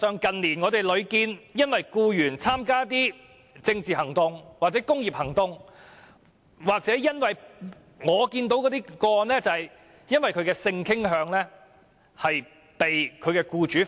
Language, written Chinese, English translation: Cantonese, 近年屢見僱員因為參加政治行動或工業行動而被解僱；我亦得悉有僱員因為性傾向而被解僱。, Over the past few years there have repeatedly been cases in which employees were dismissed for political activities or industrial actions . I also note that some employees were dismissed for their sexual orientation